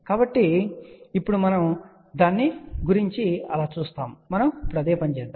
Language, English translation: Telugu, So, that is about it so, now, we do the exactly the same thing